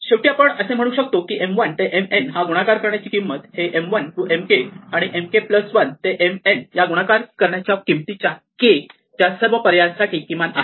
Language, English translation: Marathi, Finally, we say that the cost of multiplying M 1 to M n is the minimum for all choices of k of the cost of multiplying M 1 to M k plus the cost of multiplying M k plus 1 to M n plus